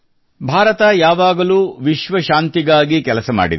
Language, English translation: Kannada, India has always strove for world peace